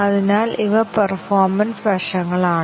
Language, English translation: Malayalam, So, those are the performance aspects